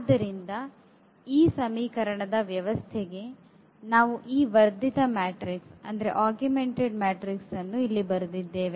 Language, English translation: Kannada, So, here for this system of equations we have written here this augmented matrix